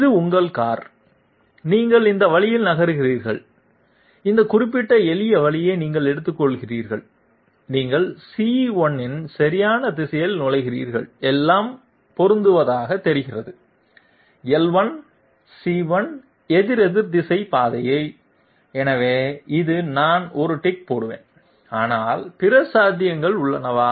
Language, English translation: Tamil, This is your car, you are moving this way and you take this particular you know shortcut and you enter the correct direction of C1, everything seems to match, L1 C1 counterclockwise path, so this I will give a tick, but is it possible that there are other possibilities also